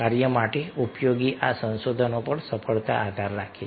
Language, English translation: Gujarati, the success depends upon these resources as useful to the task